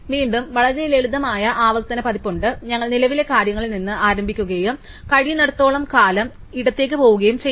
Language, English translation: Malayalam, And again there is the very simple iterative version, we start with the current thing and we keep going left as long as we can